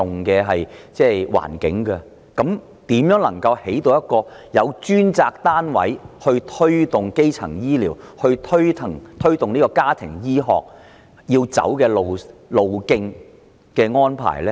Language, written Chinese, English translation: Cantonese, 如此一來，試問如何貫徹由一個專責單位推動基層醫療及家庭醫學的方針？, In this way how can the objective of promoting primary health care and family medicine by one single dedicated agency be realized?